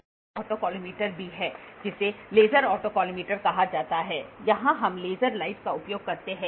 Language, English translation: Hindi, There is also a specialized autocollimator which is called as laser autocollimator here we use a laser light